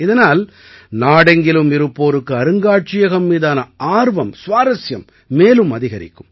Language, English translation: Tamil, This will enhance interest in the museum among people all over the country